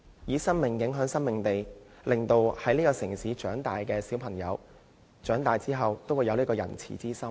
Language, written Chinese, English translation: Cantonese, 以生命影響生命，令這個城市成長的小朋友，長大後也有仁慈之心。, By using animal lives to influence childrens lives we hope that children growing up in this city will become kind - hearted adults in future